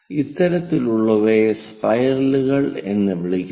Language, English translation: Malayalam, These kind ofthings are called spiral